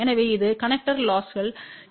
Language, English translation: Tamil, So, that will compensate connecter losses say 0